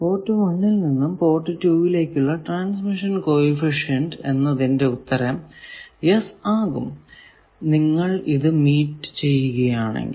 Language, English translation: Malayalam, Transmission coefficient from port 1 to port two, the answer is yes if you have met the yes